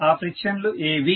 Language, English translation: Telugu, What are those frictions